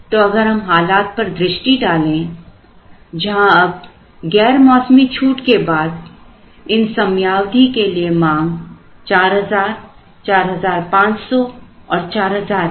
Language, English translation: Hindi, So, if we look at a situation, where now after say an off season discount the demands for the periods become 4,00, 4,500 and 4,000